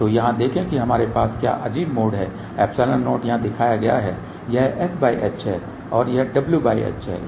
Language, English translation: Hindi, So, see here what we have odd mode epsilon 0 is shown over here this is s by h and this is w by h